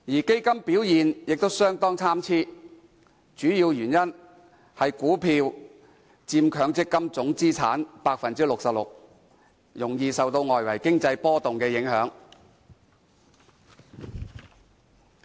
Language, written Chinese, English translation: Cantonese, 基金表現亦相當參差，主要原因是股票佔強積金總資產 66%， 容易受到外圍經濟波動影響。, The performance of different funds also varied . This is mainly because about 66 % of total MPF assets were held in equities making it vulnerable to external economic shocks